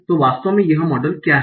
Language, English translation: Hindi, What is the actual model